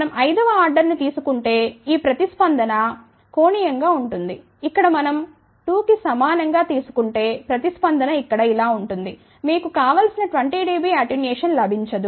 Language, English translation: Telugu, Had we take in suppose fifth order then this response will be steeper, ok here had we take n equal to 2 then the response would be like this here, you would not have got a 20 dB attenuation which was desired